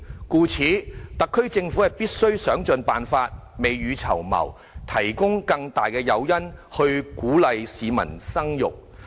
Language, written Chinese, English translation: Cantonese, 故此，特區政府必須想盡辦法，未雨綢繆，提供更大的誘因，鼓勵市民生育。, Hence the SAR Government must exhaust every possible means to make preparations for the future offering greater incentives to encourage childbirth